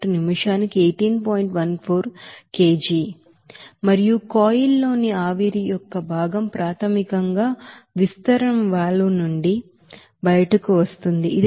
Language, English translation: Telugu, 14 kg per minute and the fraction of vapor in the coil it will be basically what is coming out from the expansion valve, it is basically 0